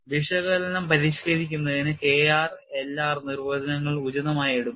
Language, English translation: Malayalam, And to refine the analysis, the K r and L r definitions are suitably taken